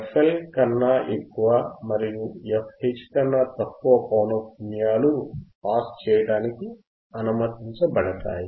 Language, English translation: Telugu, The frequencies less than less than f L and frequencies greater than f H would be allowed to pass would be allowed to pass